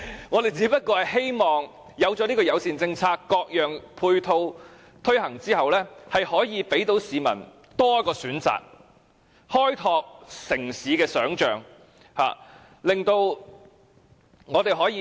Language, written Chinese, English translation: Cantonese, 我們只是希望制訂友善政策，各種配套措施推行後，市民有多一個交通工具的選擇，開拓城市的想象。, We just hope to formulate a bicycle - friendly policy so that after various ancillary measures are implemented people have one more choice of transport and we can expand our imagination of the city